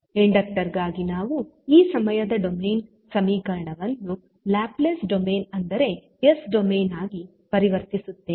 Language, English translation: Kannada, So, we will convert this time domain equation for inductor into Laplace domain that is s domain